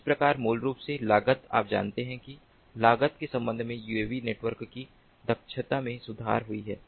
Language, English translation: Hindi, so that way, basically, the cost is, ah, you know, the efficiency with respect to cost is improved in a uav network